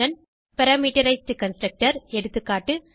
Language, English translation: Tamil, Addition Parameterized Constructor